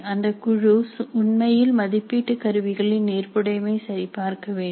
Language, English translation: Tamil, So the committee is supposed to actually check the assessment instrument for validity